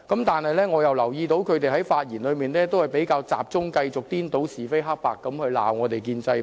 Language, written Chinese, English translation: Cantonese, 但是，我又留意到他們在發言時比較集中顛倒是非黑白地指責建制派。, Yet when they spoke they often focused on confounding right and wrong and criticizing pro - establishment Members